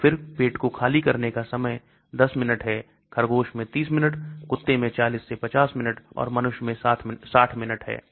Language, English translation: Hindi, So the gastric emptying time is 10 minutes, rabbit 30 minutes, dog is 40 to 50 minutes, human 60 minutes